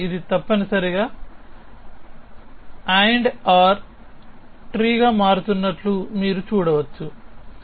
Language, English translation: Telugu, So, you can see that it is becoming an AND OR tree essentially